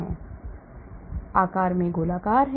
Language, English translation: Hindi, They are spherical in shape